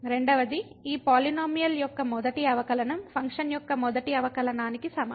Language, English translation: Telugu, Second: that the first derivative of this polynomial is equal to the first derivative of the function